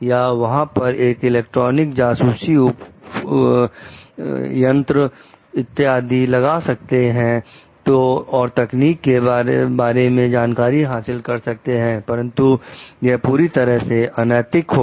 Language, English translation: Hindi, Or the can like to electronic eavesdropping etcetera, to know about the technique, but that is totally unethical